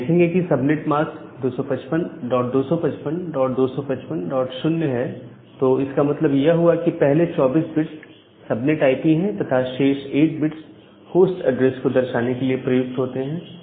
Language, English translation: Hindi, And you will see that here the subnet mask is 255 dot 255 dot 255 dot 0 that means, that 24 bits the first 24 bits are the subnet IP; and the remaining 8 bits are used to denote the host address